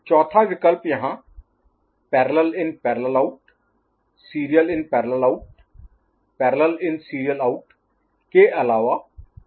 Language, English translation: Hindi, And the third option is the fourth option here other than PIPO, SIPO, PISO parallel in serial out here serial in parallel out there is serial in, serial out